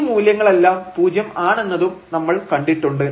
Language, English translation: Malayalam, So, directly we can show that this value is 0